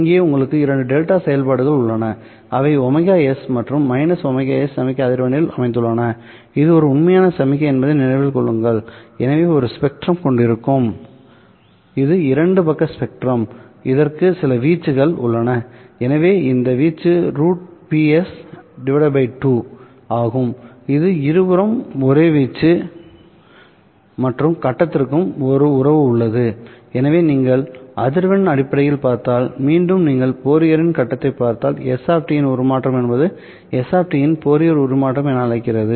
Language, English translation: Tamil, Here you have two delta functions which are situated at the signal frequency omega s and minus omega s remember this is a real signal so it will have its spectrum which is two sided spectrum there has certain amplitudes to this so this amplitude is square root of p s divided by two it is the same amplitude for both sides and there is a the face as well